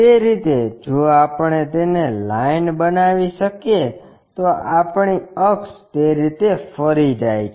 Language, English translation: Gujarati, In that way, if we can make it our axis goes in that way